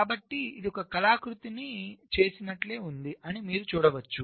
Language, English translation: Telugu, so you can see, this is just like doing an artwork